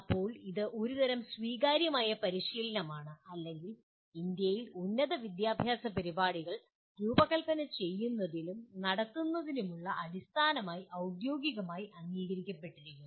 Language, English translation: Malayalam, Now it is a kind of a accepted practice or at least officially accepted as the basis for designing and conducting higher education programs in India